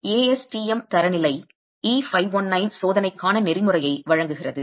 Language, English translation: Tamil, The ASTM standard E519 gives the protocol for testing